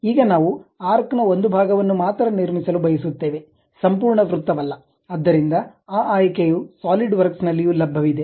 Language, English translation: Kannada, Now, we would like to construct only part of the arc, not complete circle, so that option also available at Solidworks